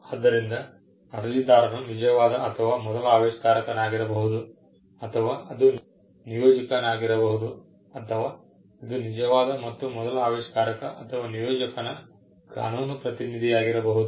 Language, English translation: Kannada, So, an applicant can be the true or first inventor, or it can be assignee, or it could also be a legal representative of the true or true and first inventor or the assignee